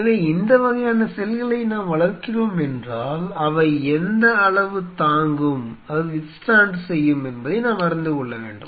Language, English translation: Tamil, So, if we are culturing these kinds of cells, we should know that what is the level they can withstand